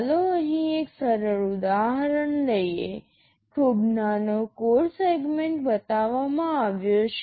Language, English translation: Gujarati, Let us take a simple example here; a very small code segment is shown